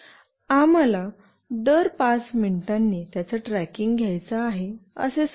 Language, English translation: Marathi, Let us say I want to track it every 5 minutes